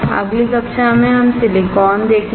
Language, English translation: Hindi, In the next class we will see the Silicon